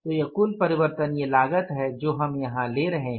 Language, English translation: Hindi, This is the total variable cost we calculated here